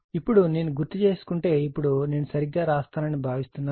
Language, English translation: Telugu, Now, if I recall, now I will not really hope I write correctly